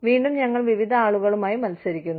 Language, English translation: Malayalam, Again, you know, we are competing with, various people